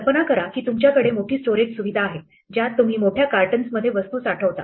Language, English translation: Marathi, Imagine that you have a large storage facility in which you store things in big cartons